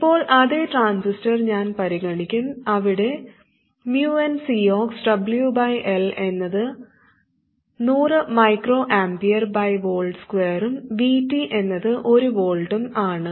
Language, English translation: Malayalam, But I'll consider the same transistor as before where VONCXWYL is 100 microamper per volt square and VT is one volt